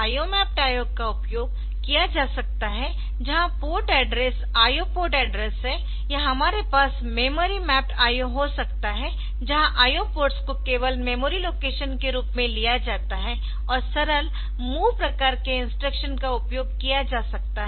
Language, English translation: Hindi, So, where the port address is the IO port address and in or we can have memory mapped IO where this memory value locations are the IO ports are taken as memory locations only and simple MOV type of instructions can be used